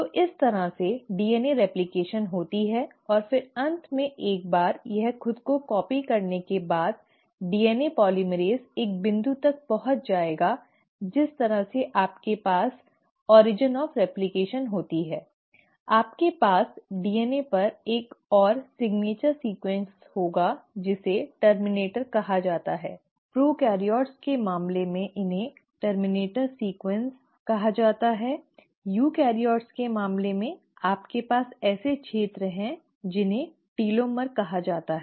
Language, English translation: Hindi, So this is how the DNA replication happens and then finally once it has copied itself the DNA polymerase will reach a point the way you have origin of replication, you will have another signature sequence sitting on the DNA which is called as the terminator, a terminator sequence in case of prokaryotes, in case of eukaryotes you have regions which are called as telomere